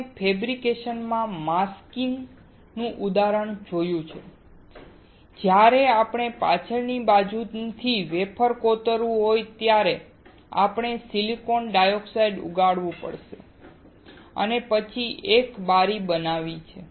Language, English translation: Gujarati, We have seen an example of masking in the fabrication that when we want to etch the wafer from the backside, we have to we have grown silicon dioxide and then have created a window